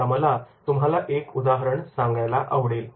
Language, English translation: Marathi, Here is one example I would like to share with you